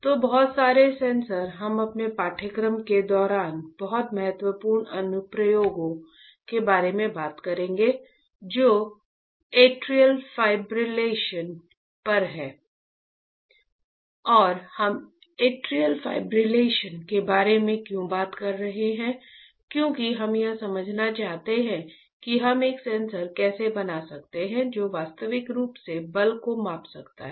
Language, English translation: Hindi, So, lot of sensors lot of sensors we will be talking about very important application during our course which is on atrial fibrillation and why we are talking about atrial fibrillation because we want to understand how we can fabricate a sensor which can measure the force in real time, ok